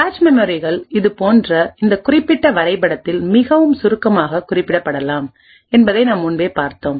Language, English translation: Tamil, As we have seen before the cache memories could be very abstractly represented by this particular figure